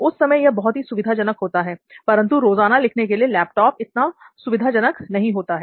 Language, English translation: Hindi, So that is very convenient that time but laptop is not that convenient for writing everyday thing